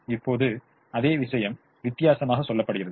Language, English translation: Tamil, now same thing is told differently